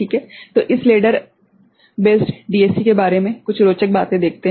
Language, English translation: Hindi, So, few interesting things about this ladder based DAC right